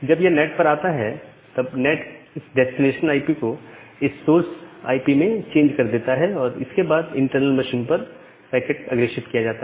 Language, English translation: Hindi, When it comes to NAT, then the NAT makes an change makes this destination IP, change to this source IP and the packet as forwarded to the internal machine